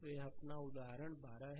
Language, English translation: Hindi, So, this is your example 12 right